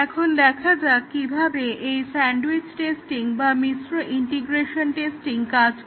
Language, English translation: Bengali, Let us look at how is this sandwiched testing or mixed integration testing would work